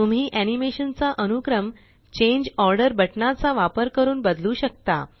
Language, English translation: Marathi, You can also change the order of the animation using the Change Order buttons